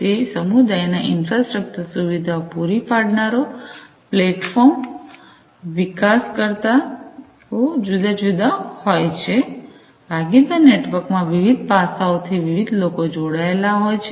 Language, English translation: Gujarati, So, the community the infrastructure providers, the platform developers, these are different, you know, they are the different aspects that different people that join hands in the partner network